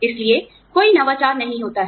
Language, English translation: Hindi, So, no innovation takes place